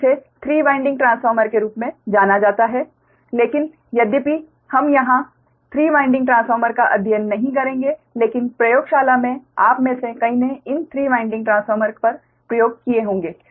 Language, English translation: Hindi, so, but although we will not study here three winding transformers, but in laboratory, many of you might have done experiments on these three winding transformers